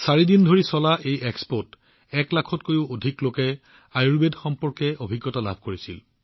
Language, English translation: Assamese, In this expo which went on for four days, more than one lakh people enjoyed their experience related to Ayurveda